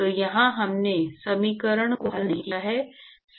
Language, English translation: Hindi, So, this is we have not solved the equation